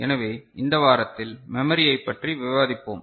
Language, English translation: Tamil, So, in this week, we shall discuss Memory